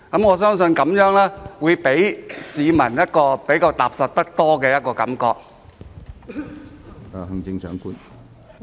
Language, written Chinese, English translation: Cantonese, 我相信這樣會令市民感覺踏實得多。, I believe this would better enable the public to be free from anxiety